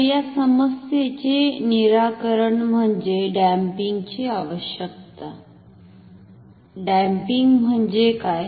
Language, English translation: Marathi, So, solution to this problem is we need damping, what is damping